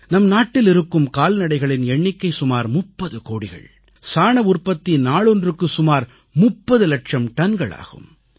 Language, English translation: Tamil, India is home to the highest cattle population in the world, close to 300 million in number, with a daily output of 3 million tonnes of dung